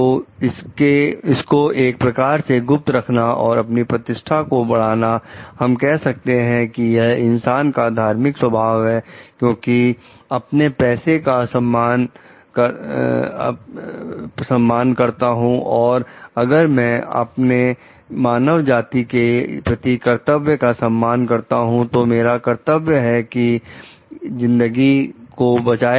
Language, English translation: Hindi, So, and keeping it as a trade secret to enhance her prestige, we may tell like this is not something which is a virtuous nature of the person, because if I respect my profession and if I respect the my duty to the mankind, which is like my duty is to save life